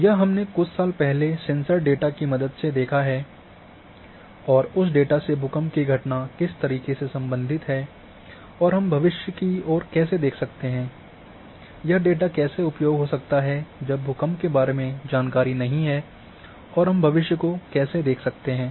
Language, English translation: Hindi, This we have used some years back using sensors data and that data and related way then earthquake event and how we can look towards the future, how this data can be used having not information about earthquake and how we can look towards the feature